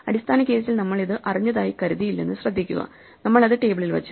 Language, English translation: Malayalam, Notice we did not assume we knew it, when we came to it in the base case; we put it into the table